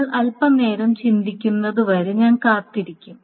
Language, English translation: Malayalam, And I am inviting you to think for a while